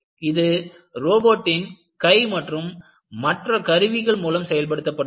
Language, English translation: Tamil, It has to be done by robotic arms and tools and so on and so forth